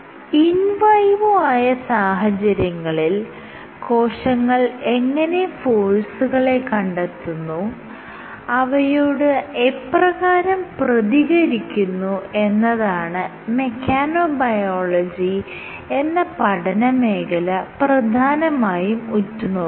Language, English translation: Malayalam, So, to summarize mechanobiology is a field of study that looks how cells detect, modify, and respond to forces that arise under in vivo circumstances